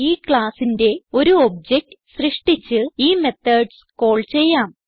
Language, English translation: Malayalam, Let us create an object of the class and call the methods